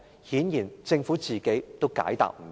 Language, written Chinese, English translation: Cantonese, 顯然政府自己也解答不到。, The Government obviously has no answer to this question either